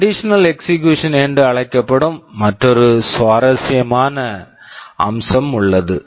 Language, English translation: Tamil, And there is another very interesting feature we shall be discussing this in detail, called conditional execution